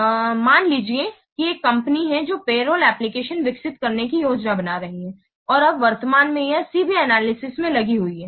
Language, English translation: Hindi, So, suppose there is a company which is planning to develop a payroll application and now currently it is engaged in CB analysis